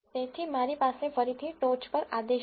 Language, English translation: Gujarati, So, I again have the command on the top